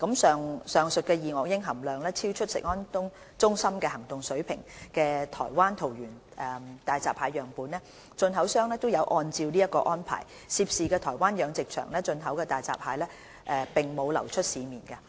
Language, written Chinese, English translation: Cantonese, 上述二噁英含量超出食安中心行動水平的台灣桃園大閘蟹樣本，進口商有按照這項安排，涉事台灣養殖場進口的大閘蟹並無流出市面。, This is the reason why hairy crabs from the aquaculture farm in Taoyuan Taiwan where the above mentioned hairy crab sample which had exceeded CFS action level for dioxins had come from did not enter the local market